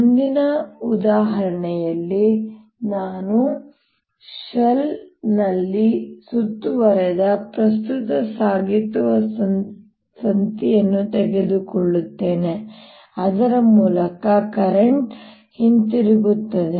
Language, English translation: Kannada, next example: i will take a current carrying wire enclosed in a shell through which the current comes back